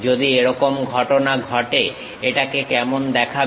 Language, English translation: Bengali, If that is the case how it looks like